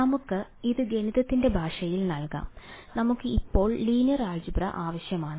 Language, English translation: Malayalam, Let us to put this in the language of math we need linear algebra now ok